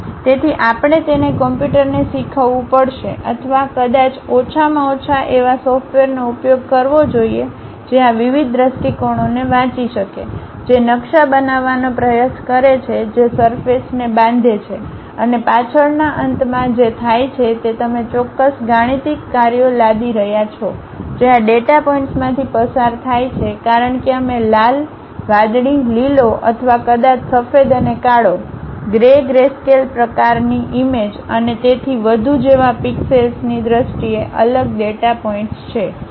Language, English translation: Gujarati, So, we have to teach it to computer or perhaps use a at least a software which can really read this different views try to map that construct the surface and the back end what happens is you impose certain mathematical functions which pass through this data points because we have isolated data points in terms of pixels like colors red, blue, green or perhaps white and black, grey grayscale kind of images and so on